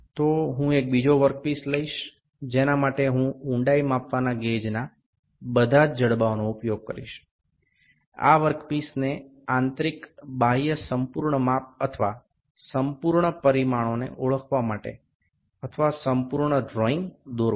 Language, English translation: Gujarati, So, I will pick another work piece here for which I will use all the jaws the depth gauge, the internal external to draw the full drawing of to draw to identify or to see the full measurements or full dimensions of this work piece